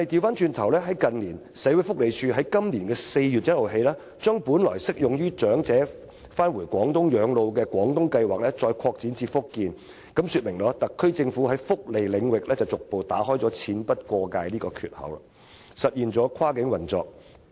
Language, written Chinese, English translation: Cantonese, 不過，社會福利署在今年4月1日起，將本來適用於長者返回廣東省養老的"廣東計劃"再擴展至福建，這說明特區政府在福利領域逐步打開"錢不過界"的缺口，實現跨境運作。, Yet since 1 April this year the Social Welfare Department has extended the coverage of the Guangdong Scheme originally applicable to elderly people spending their twilight years in Guangdong Province to Fujian . This illustrates that the SAR Government is gradually breaking through the barrier of no funding beyond the boundary to realize cross - boundary operation in the area of welfare benefits